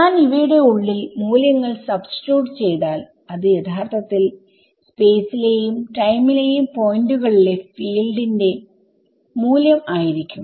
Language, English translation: Malayalam, So, when I substitute the value inside these things it should be actually the value of the field at those times in points in space and points in time correct